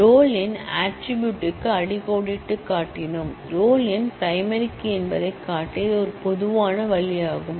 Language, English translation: Tamil, We underlined the roll number attribute; this would be a common way to show that roll number is a primary key